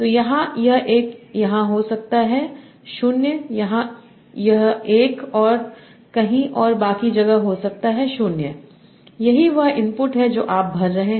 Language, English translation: Hindi, So here might be 1 here, 0 here, it might be 1 somewhere and everything else 0